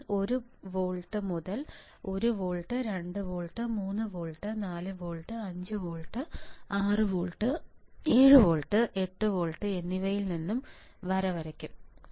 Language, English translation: Malayalam, This I had done now what I will do I will I will draw line from one volt onward 1volt, 2 volt, 3 volt 4 volt, 5 volt, 6 volt, 7 volt and 8 volt what is this volts